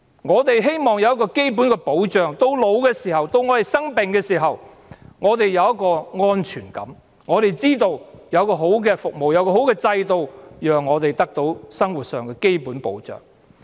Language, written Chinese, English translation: Cantonese, 我們希望得到一個基本的保障，到年老的時候、生病的時候，我們有一種安全感，我們知道有良好的服務、有良好的制度，讓我們得到生活上的基本保障。, We wish to have a basic protection so that when we grow old and get sick we still have a sense of security for we know that we have good services and good systems so that we have the basic living protection